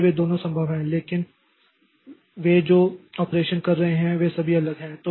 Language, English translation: Hindi, So both of them are possible, but the operations that they are doing are all separate